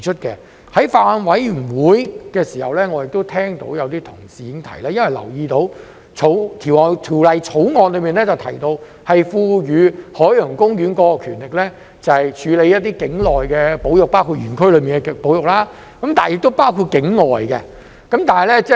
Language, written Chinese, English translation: Cantonese, 在法案委員會的時候，我聽到有同事提到，他們留意到《條例草案》賦予海洋公園權力，處理一些境內的保育，包括園區內的保育，並且包括境外的保育。, At the Bills Committee I heard some colleagues mention the power conferred to OP by the Bill to carry out conservation in Hong Kong including that within the Park and outside Hong Kong